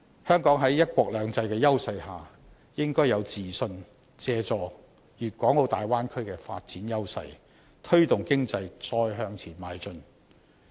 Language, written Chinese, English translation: Cantonese, 香港在"一國兩制"的優勢下，應該有自信，借助粵港澳大灣區的發展優勢，推動經濟再向前邁進。, With the edges under one country two systems Hong Kong should be confident that it can make good use of the advantages brought by the Bay Area for development and promote its economic development